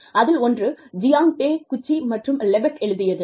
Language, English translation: Tamil, One is, by Jiang Takeuchi, and Lepak